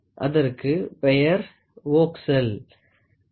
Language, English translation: Tamil, It is called as voxel, ok